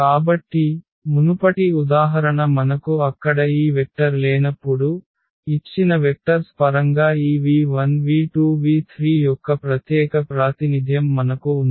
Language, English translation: Telugu, So, the earlier example when we did not have this vector there, we have the unique representation of the of this v 1 v 2 v 3 in terms of the given vectors